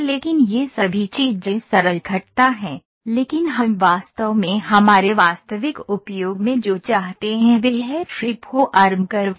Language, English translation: Hindi, But all these things are simple curves, but what we really want in our real time usage is free form curves